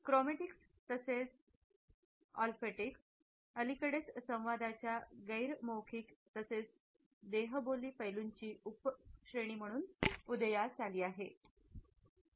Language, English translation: Marathi, Chromatics as well as Ofactics have recently emerged as subcategory of non verbal aspects of communication